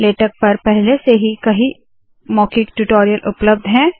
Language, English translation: Hindi, There are many spoken tutorials on latex already available